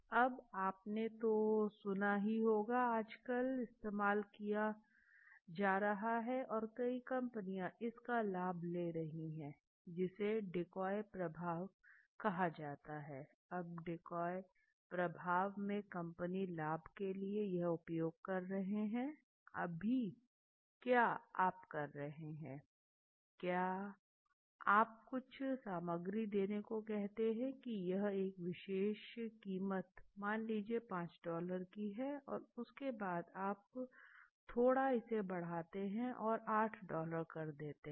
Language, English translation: Hindi, Now one you must have heard of is very popular nowadays being used and many companies have taken advantage of it is called the decoy effect now decoy effect is one kind of effect decoy effect where companies are utilizing it to the fullest benefit right now what will you do in decoy effect basically you try to let’s say give certain ingredients a particular prices let say 5 dollars let’s say and then maybe you slightly you increase it and you make it 8 dollars right